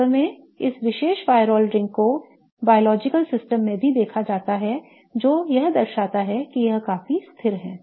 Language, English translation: Hindi, Okay, in fact this particular pyrole ring is also seen in biological system indicating that it is quite stable